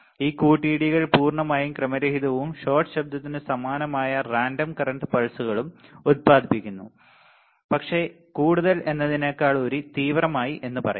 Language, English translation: Malayalam, These collisions are purely random and produce random current pulses similar to shot noise, but much more intense ok